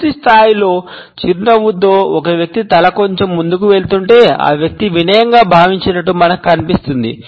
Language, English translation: Telugu, In a full blown smile, if it is accompanied by a person’s head going slightly in we find that the person is feeling rather humble